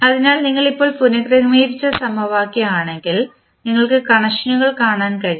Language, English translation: Malayalam, So, if you see the equation which we have just rearranged so what we can now see we can see the connections